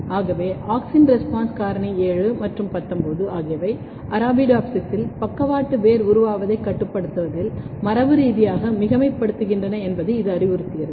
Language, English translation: Tamil, So, this also suggests that AUXIN RESPONSE FACTOR 7 and 19, they are genetically redundant in regulating lateral root formation in Arabidopsis